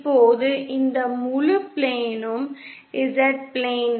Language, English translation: Tamil, Now this whole plane is the Z plane